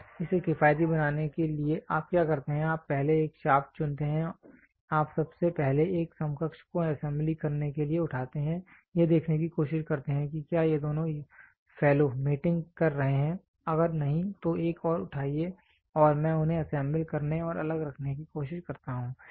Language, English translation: Hindi, And in order to make this economical what you do is you first pick a shaft you first pick a counterpart do the assembly and try to see whether these two fellows are mating if not pick another one and I try to assemble them and keep it separate